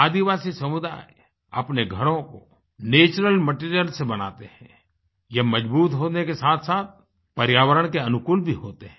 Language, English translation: Hindi, Tribal communities make their dwelling units from natural material which are strong as well as ecofriendly